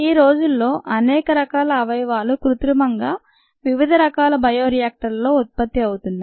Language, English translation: Telugu, many different organs produce artificially in appropriate by reactors